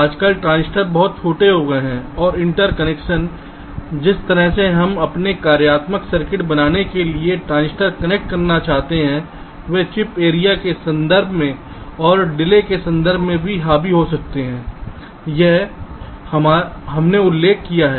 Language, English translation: Hindi, nowadays, the transistors have become very small and the interconnections the way we want to connect the transistors to build our functional circuits they tend to dominate in terms of the chip area and also in terms of the delay